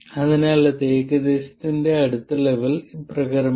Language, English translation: Malayalam, So, the next level of approximation is as follows